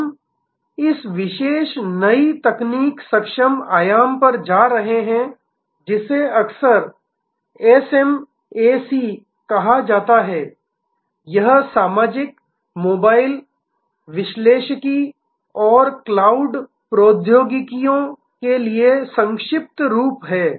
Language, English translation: Hindi, We are moving to this particular new technology enabled dimension, which is often called SMAC it is the acronym for social, mobile, analytics and cloud technologies